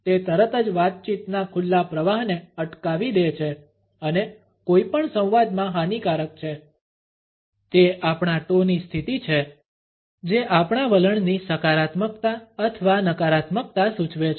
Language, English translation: Gujarati, It immediately stops, the open flow of conversation and is detrimental in any dialogue; it is the position of our toes which suggest a positivity or negativity of our attitude